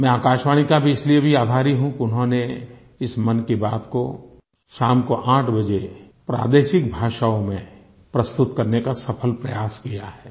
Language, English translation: Hindi, I am grateful to All India Radio that they have also been successfully broadcasting 'Mann Ki Baat' in regional languages at 8 pm